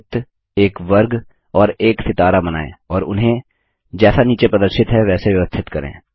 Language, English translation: Hindi, Draw a circle a square and a star and place them as showm below